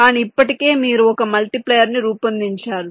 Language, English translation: Telugu, but already you have design, a multiplier